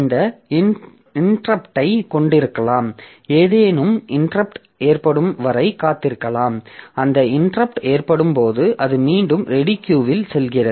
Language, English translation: Tamil, Then we can have this interrupt, so there may be an waiting for some interrupt to occur and when that interrupt occurs it goes back to the ready queue